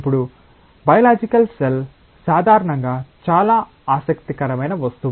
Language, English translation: Telugu, Now, biological cell is a very interesting object in general